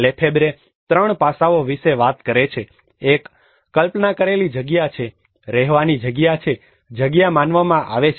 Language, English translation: Gujarati, Lefebvre talks about 3 aspects, one is conceived space, lived space, perceived space